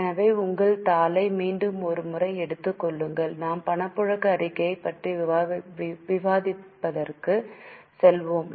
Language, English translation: Tamil, So take your sheet once again and we will go for discussion of cash flow statement